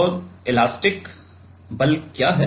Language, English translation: Hindi, And what is the elastic force